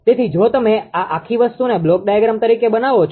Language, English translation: Gujarati, So, if you if you make this whole thing as a block diagram representation